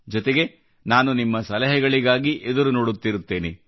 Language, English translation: Kannada, I will keep on waiting for your suggestions